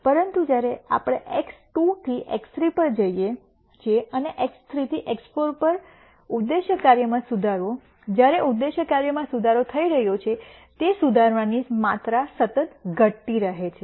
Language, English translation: Gujarati, But when we go from X 2 to X 3 and X 3 to X 4, the improvement in the objective function, while the objective function is improving, the improvement amount of improvement keeps decreasing